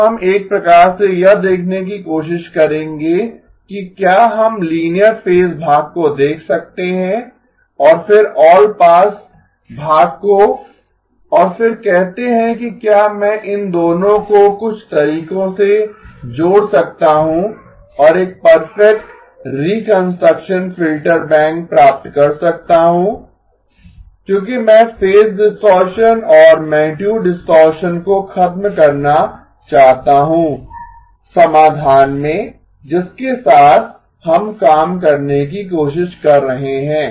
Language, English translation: Hindi, Now we will sort of try to see whether we can look at the linear phase part and then the allpass part and then say can I combine these two in some ways and get a perfect reconstruction filter bank because I want to eliminate phase distortion and magnitude distortion in the solution that we are trying to work with